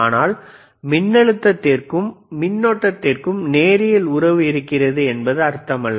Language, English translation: Tamil, we will see, b But that does not mean that voltage and current have linear relationship